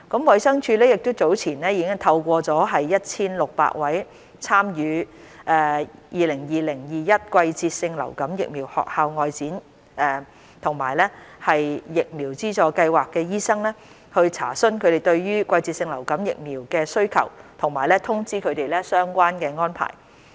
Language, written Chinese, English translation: Cantonese, 衞生署早前已聯絡超過 1,600 位參與 "2020-2021 季節性流感疫苗學校外展"及疫苗資助計劃的醫生，查詢他們對季節性流感疫苗的需求和通知他們相關的安排。, DH has earlier contacted more than 1 600 doctors who have enrolled in the 2020 - 2021 Seasonal Influenza Vaccination School Outreach and VSS on their demands for seasonal influenza vaccines and to inform them of the relevant arrangements